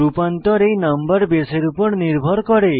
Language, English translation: Bengali, The conversion depends on this number base